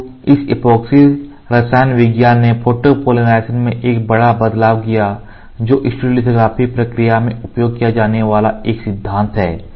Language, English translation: Hindi, So, this epoxy chemistry made a big change in photopolymerization which is the principle when used in stereolithography process